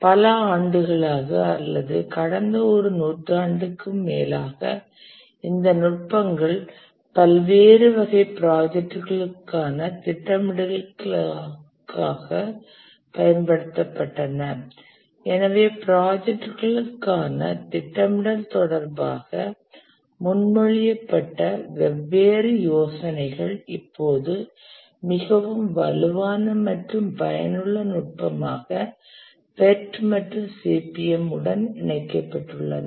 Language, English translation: Tamil, Over the years, that is over the last century or so, these techniques have been used, the project scheduling techniques for various types of projects and therefore different ideas that were proposed regarding project scheduling have now been merged into a very strong and useful technique, the POT and CPM